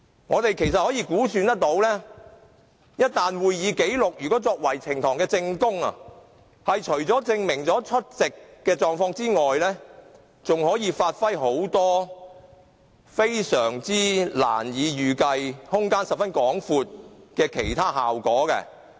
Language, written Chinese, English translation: Cantonese, 我們可以估計，一旦會議紀錄作為呈報證供，除了證明議員的出席情況外，還可以發揮很多非常難以預計、空間十分廣闊的其他效果。, We can reckon that once the proceedings and minutes are submitted as evidence apart from proving the attendance of a Member there is ample room for them to be used for other highly unpredictable purposes